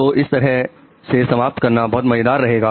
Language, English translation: Hindi, So this is interesting to end with